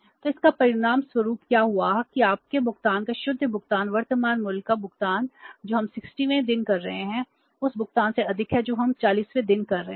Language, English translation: Hindi, So what has happened as a result of that your payment net payment or the net present value of the payment which we are making on the 60th day is more than the payment we are making on the 40th day